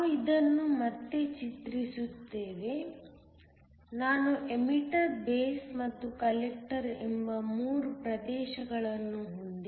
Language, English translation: Kannada, We just redraw this; I have 3 regions the emitter, the base and the collector